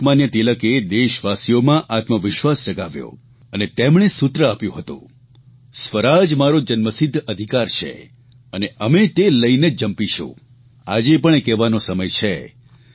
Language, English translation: Gujarati, Lokmanya Tilak evoked self confidence amongst our countrymen and gave the slogan "Swaraj is our birth right and I shall have it